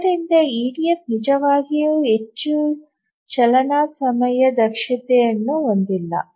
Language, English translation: Kannada, Therefore we can say that EDF is not really very runtime efficient